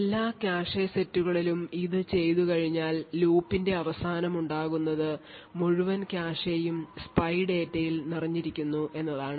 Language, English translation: Malayalam, So, once this is done for all the cache sets what good result at the end of this for loop is that the entire cache is filled with spy data